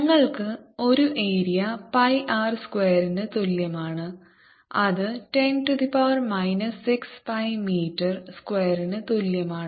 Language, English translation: Malayalam, a area is equal to pi r square, which is ten raise to minus six pi metre square